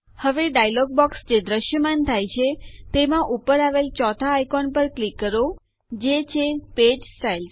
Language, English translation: Gujarati, Now in the dialog box which appears, click on the 4th icon at the top, which is Page Styles